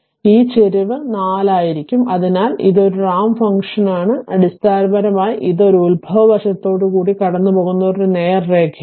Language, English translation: Malayalam, So, it will be slope is 4, so and is a ramp function is basically it is a straight line passing through the origin right